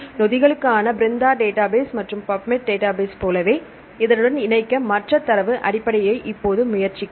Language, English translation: Tamil, Now we give the other data basis try to for to link with this one, like as the BRENDA database for the enzymes and the Pubmed database right